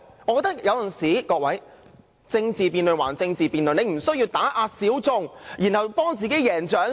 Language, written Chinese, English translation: Cantonese, 我認為政治辯論歸政治辯論，他無須打壓小眾為自己贏取掌聲。, I think political debates should be confined to political debates . He should not suppress the minorities to win an applause for himself